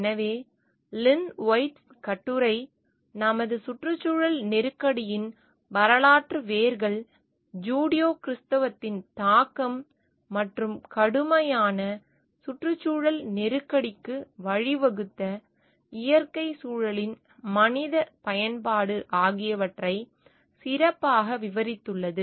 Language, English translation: Tamil, So, the Lynn Whitess essay the historical roots of our ecological crisis, best described the influence of Judeo Christianity and human use of natural environment which led to severe ecological crisis